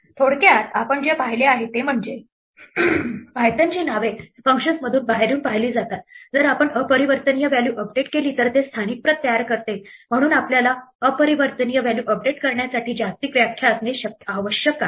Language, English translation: Marathi, To summarize, what we have seen is that Python names are looked up inside out from within functions, if we update an immutable value it creates a local copy so we need to have a global definition to update immutable values